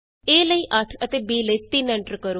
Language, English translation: Punjabi, Enter a as 8 and b as 3